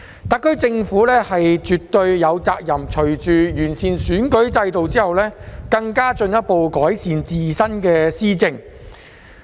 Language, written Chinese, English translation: Cantonese, 特區政府絕對有責任隨着完善選舉制度，進一步改善自身的施政。, The SAR Government definitely has the responsibility to further improve its governance along with the improvement of the electoral system